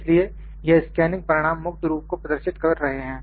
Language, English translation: Hindi, So, these scanning results are representing using free form